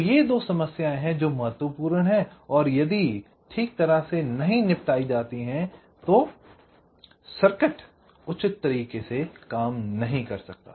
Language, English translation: Hindi, ok, this are the two problems which are important and if not handled or tackled properly, the circuit might not work in a proper way